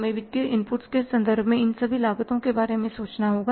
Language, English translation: Hindi, We will have to think about all these costs in terms of the financial inputs